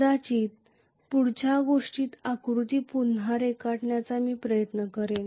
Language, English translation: Marathi, Let me try to probably redraw the figure in the next thing